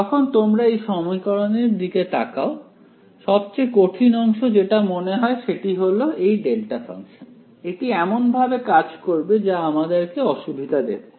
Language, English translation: Bengali, When you look at this equation over here what is the difficult part about it is the delta function right, it is going to act in the way that will present some difficulty